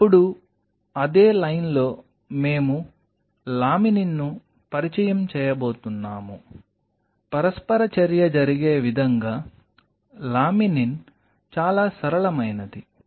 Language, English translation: Telugu, Now, in the same line we were about to introduce the laminin, laminin is much simpler in that respect the way the interaction happens